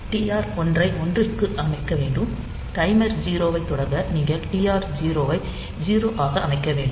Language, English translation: Tamil, So, you have to set TR 1 to one, to start timer 0 you have to start set TR 0 to 0